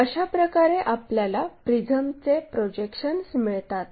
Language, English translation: Marathi, This is the way a prism we will have projections